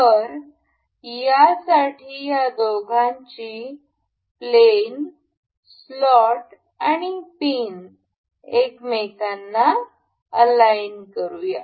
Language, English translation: Marathi, So, for this we can align the planes of these two, the the slot and the pin into one another